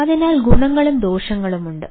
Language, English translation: Malayalam, so there are ah pros and cons